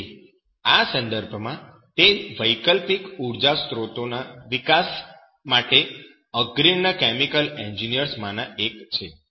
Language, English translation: Gujarati, So in this regard, he is one of the pioneer chemical engineers for the development of alternative energy sources